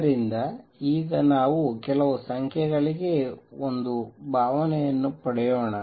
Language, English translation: Kannada, So, now let us get a feeling for some numbers